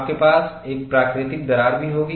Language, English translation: Hindi, You have to develop a natural crack